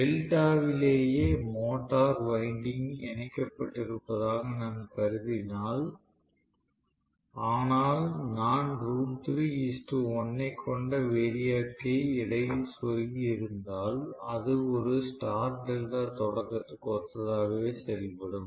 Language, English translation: Tamil, If I assume that I still have the motor winding connected in delta itself, but I am going to have root 3 is to 1 as a variac which is inserted, it will behave exactly similar to a star delta starting right